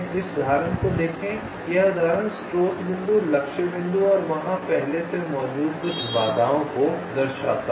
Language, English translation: Hindi, this example shows ah, source point, ah target point and some obstacles already there